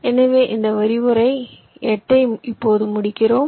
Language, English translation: Tamil, ok, so just we end, ah, this lecture eight now